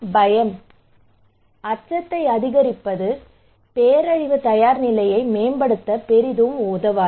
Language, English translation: Tamil, So fear, increasing fear would not help much to promote disaster preparedness right